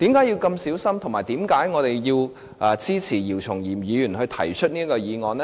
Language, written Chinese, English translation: Cantonese, 以及為何我們支持姚松炎議員提出這項議案呢？, And why do we support this motion from Dr YIU Chung - yim?